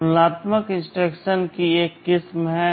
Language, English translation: Hindi, There are a variety of compare instructions